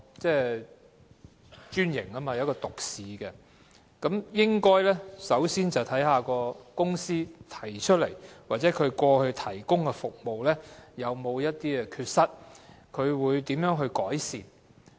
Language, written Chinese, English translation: Cantonese, 專營代表獨市經營，故應該首先看看該公司過去提供的服務有否缺失及會如何改善。, Franchise means a business with an exclusive market . Therefore we should first examine whether the services delivered by this company is deficient and what improvement it will make